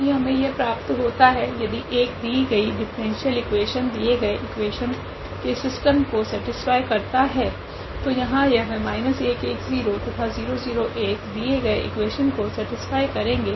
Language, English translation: Hindi, That we are getting this is either 1 is satisfying the given differential equation the given system of the question, so here minus 1 1 0 satisfies the given equation, also 0 0 1 is satisfying the given equation